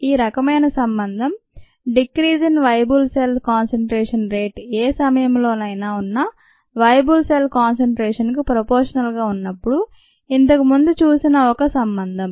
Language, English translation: Telugu, this kind of a relationship that we saw earlier results when the rate of decrease in viable cell concentration is directly proportion to the viable cell concentration present at any time